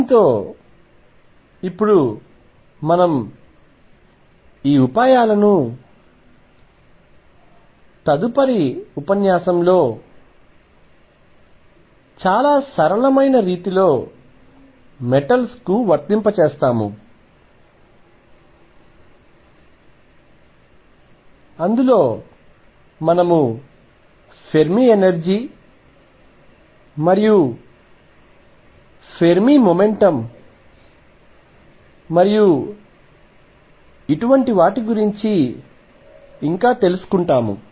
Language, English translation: Telugu, With this we will now apply these ideas to metals in a very simple way in the next lecture, where we learn about Fermi energy Fermi momentum and things like this